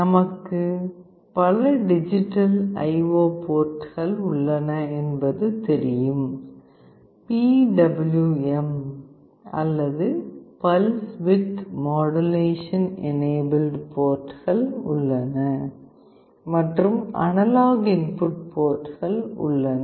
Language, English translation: Tamil, As we know there are several digital IO ports, there are also PWM or Pulse Width Modulation enabled ports, and there are analog input ports